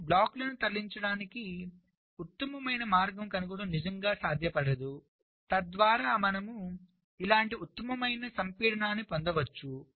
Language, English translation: Telugu, so it is not really feasible to find out the best way to move the blocks so that you can get the best compaction like this